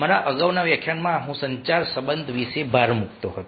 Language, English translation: Gujarati, in my previous lecture i was emphasizing about the communication relationship